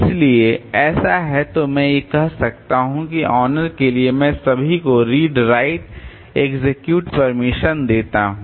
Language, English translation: Hindi, So, this is and so I can say that for the owner I give all read right execute permission